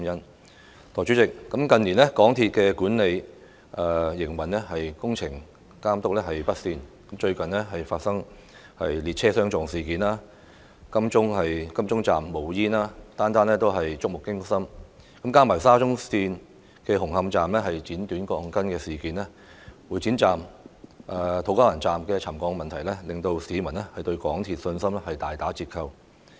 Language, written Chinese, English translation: Cantonese, 代理主席，近年港鐵公司管理不善，工程監督表現未如人意，最近發生列車相撞及金鐘站冒煙等事故，每宗都觸目驚心；加上沙田至中環綫紅磡站爆出"剪短鋼筋"事件，會展站及土瓜灣站又出現沉降問題，令市民對港鐵公司的信心大打折扣。, Deputy President in recent years we have seen poor management in MTRCL and its performance in the supervision of works has been unsatisfactory . The incidents that have occurred recently such as a train collision and the emission of smoke at Admiralty Station are all terrifying . Coupled with the incident of the cutting of rebars at Hung Hom Station and the problems of settlement at Exhibition Centre Station and To Kwa Wan Station of the Shatin to Central Link SCL public confidence in MTRCL has been greatly undermined